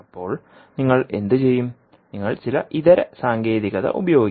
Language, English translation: Malayalam, Then what you will do, you will use some alternate technique